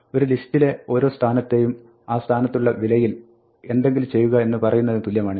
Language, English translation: Malayalam, This is like saying for every position in a list do something the value at that position